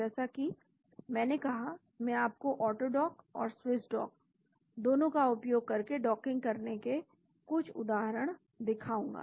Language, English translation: Hindi, As I said, I will show you some examples of how to do docking using both AutoDock and Swiss Dock